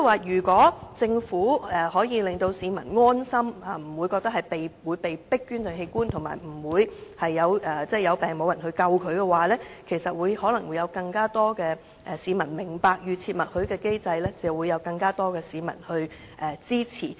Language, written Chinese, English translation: Cantonese, 如果政府能令市民感到安心，不會覺得被迫捐贈器官，以及不會患病時不獲搶救的話，可能會有更多市民明白及支持預設默許機制。, If the Government can reassure people that they will not be forced to donate organs and dispel their fear that they will not be saved in the event of sickness perhaps more people will understand and support the opt - out system